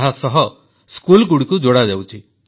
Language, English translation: Odia, Schools have been integrated